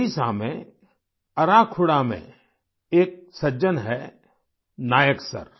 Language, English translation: Hindi, There is a gentleman in Arakhuda in Odisha Nayak Sir